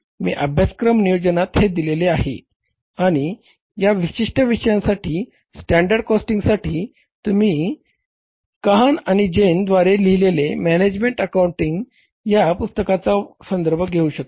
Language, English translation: Marathi, You can refer to the books I have given in the course plan and the for this particular topic, standard costing, you should refer to the book that is the management accounting by Khan and Jan